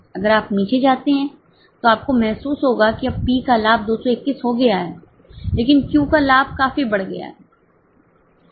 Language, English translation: Hindi, If you go down, you will realize that now the profit of P has gone to 221, but profit of Q has increased substantially it is 191